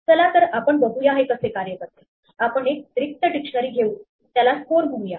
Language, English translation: Marathi, Let us see how it works we start with an empty dictionary say score